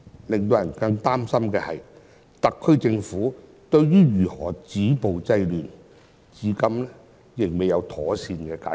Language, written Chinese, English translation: Cantonese, 令人更擔心的是，特區政府對於如何止暴制亂的問題，至今仍未能妥善解決。, It is even more worrying that the SAR Government has so far not been able to properly stop violence and curb disorder